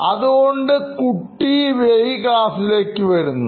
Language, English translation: Malayalam, He was a regular at coming late to class